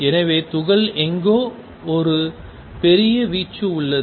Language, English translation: Tamil, So, particle is somewhere there is a large amplitude